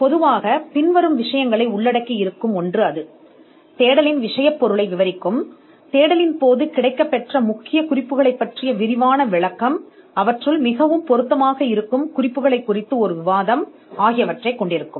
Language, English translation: Tamil, The report will usually cover the following things; one it would detail the subject matter of the search, it would detail the references that the searcher came across during the search, it would have a discussion on the references that are more relevant